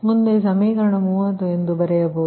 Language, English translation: Kannada, so equation thirty four